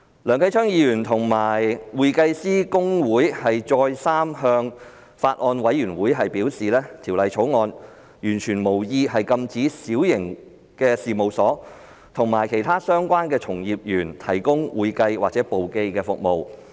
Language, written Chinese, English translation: Cantonese, 梁繼昌議員和公會再三向法案委員會表示，《條例草案》完全無意禁止小型事務所及其他相關從業員提供會計或簿記服務。, Mr Kenneth LEUNG and HKICPA have repeatedly advised the Bills Committee that the Bill is by all means not intended to prohibit small firms and other relevant practitioners from providing accounting or bookkeeping services